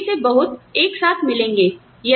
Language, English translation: Hindi, And, lot of them, will get together